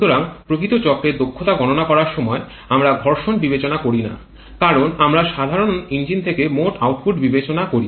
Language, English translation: Bengali, So, while calculating the efficiency of the actual cycle we do not consider friction because that they are we generally consider the gross output from the engine